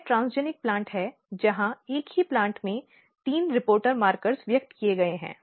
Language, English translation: Hindi, So, this is transgenic plant where three reporter markers has been expressed in the same plant